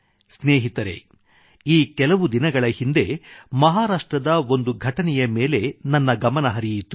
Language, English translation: Kannada, Recently, one incident in Maharashtra caught my attention